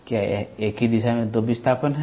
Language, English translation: Hindi, Are the two displacements in the same direction